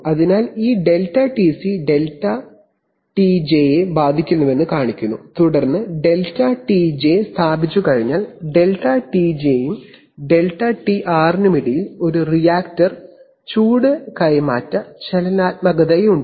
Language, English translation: Malayalam, So this shows that this ΔTC also affects ΔTJ and then once ΔTJ is established then between ΔTJ and ΔTR, there is a reactor heat transfer dynamics